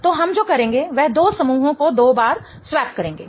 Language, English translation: Hindi, So, what we do is we will swap any two groups twice